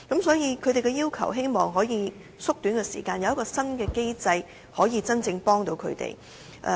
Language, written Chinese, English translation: Cantonese, 所以，他們希望能夠縮短過程，有新的機制能夠真正幫助他們。, So they hope that this process can be shortened and a new mechanism can be put in place to truly help them